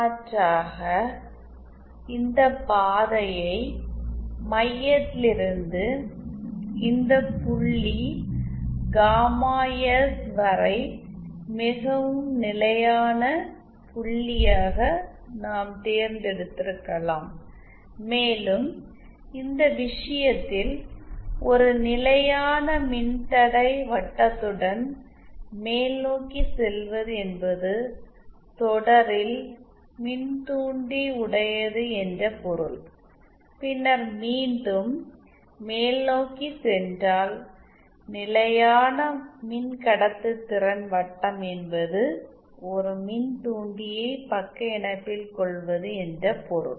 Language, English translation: Tamil, Alternatively we have could have chosen this path as well from the center to the this point gamma s which is the most stable point, and in this case going along a constant resistance circle upwards mean inductive in series, and then going upwards again along a constant conductance circle also means an inductance but in shunt